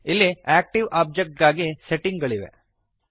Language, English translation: Kannada, Here are the settings for the active object